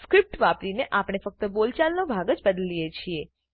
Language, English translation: Gujarati, Using the script, we change the spoken part only